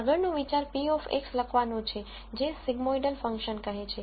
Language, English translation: Gujarati, The next idea is to write p of X as what is called as sigmoidal function